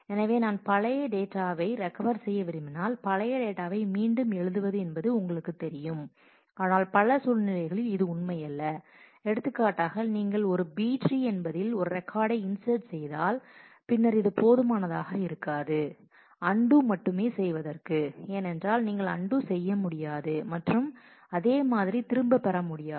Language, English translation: Tamil, So, I mean if I want to recover I can just you know write back the old data, but this is not true in case of many other situations for example, if you are inserting a record in a B tree, then it is not enough only to undo that because you cannot undo and get back the same